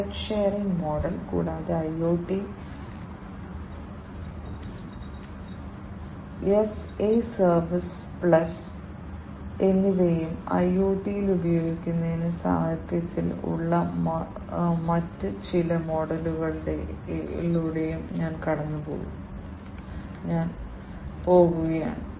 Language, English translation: Malayalam, Asset sharing model, and IoT as a service plus I am also going to go through some of the other types of models that are there in the literature for use in IoT